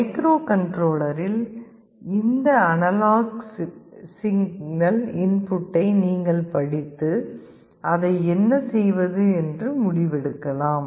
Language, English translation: Tamil, You can read this analog input in the microcontroller and take a decision what to do with that